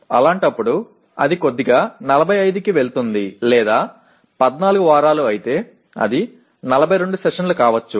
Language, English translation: Telugu, In that case it will slightly go up to 45 or it may be if it is 14 weeks it could be 42 sessions